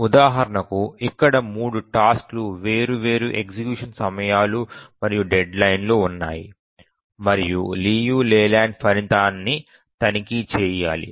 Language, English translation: Telugu, So, here three tasks, different execution times and deadlines, and we need to check the leave lay line result